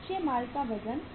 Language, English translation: Hindi, Weight of the raw material